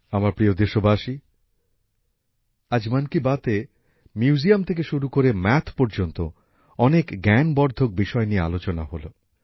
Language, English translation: Bengali, My dear countrymen, today in 'Mann Ki Baat', many informative topics from museum to maths were discussed